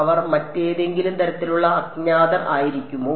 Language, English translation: Malayalam, Can they be some other kind of unknown